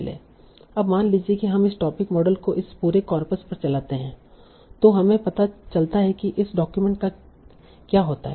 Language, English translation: Hindi, Now, suppose we run this topic model over this whole coppers, we find out what happens to this document